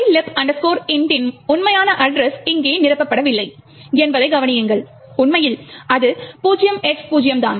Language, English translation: Tamil, Notice that the actual address of mylib int is not filled in over here in fact it is just left is 0X0